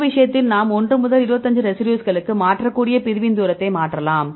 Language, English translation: Tamil, So, in this case now we can change the distance of separation we can change from 1 to 25 residues